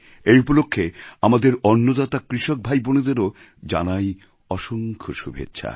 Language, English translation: Bengali, Best wishes to our food providers, the farming brothers and sisters